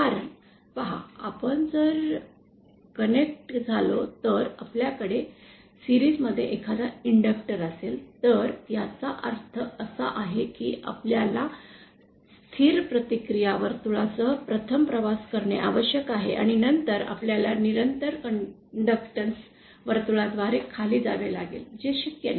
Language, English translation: Marathi, Because see if we connect, if we have an inductor in series, that means that we have to travel along a constant resistance circle 1st and then we have to come down via constant conductance circle which is not possible